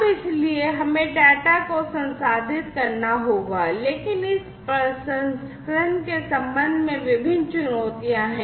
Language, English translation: Hindi, Now, the so, we have to process the data, but there are different challenges with respect to this processing